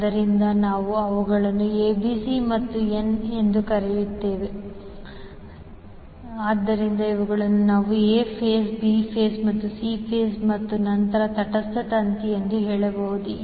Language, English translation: Kannada, So, we say them ABC and n, so, the these we can say as A phase, B phase and C phase and then the neutral wire